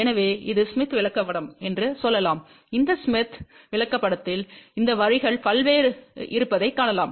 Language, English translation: Tamil, So, let us say this is the smith chart and on this smith chart, you can see various these lines are there